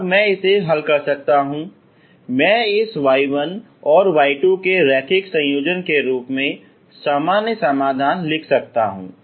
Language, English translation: Hindi, Then I can solve it I can write the general solutions as linear combination of this y 1 and y 2